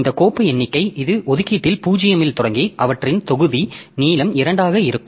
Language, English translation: Tamil, So, this file count so it starts at location starts at zero and their block length is two